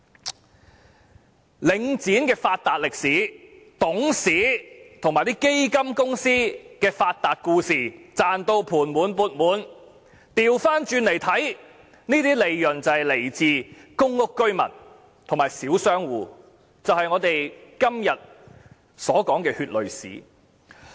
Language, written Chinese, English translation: Cantonese, 從領展的發達歷史及董事和基金公司的發達故事可見，他們全都"賺到盤滿缽滿"，反過來看，這些利潤是來自公屋居民和小商戶，也就是我們今天所說的血淚史。, From Link REITs history of getting rich and the stories of how its Directors and the fund companies made a fortune we can see that all of them have made fat profits . Looking at it from an opposite angle these profits actually come from public housing tenants and small shop tenants who made up the tragic history that we have been talking about today